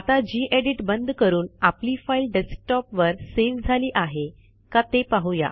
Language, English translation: Marathi, Lets close this gedit now and check whether our file is saved on desktop or not